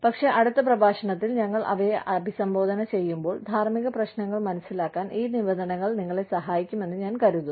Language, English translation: Malayalam, But, I think, these terms, will help you understand, ethical issues, when we address them, in the next lecture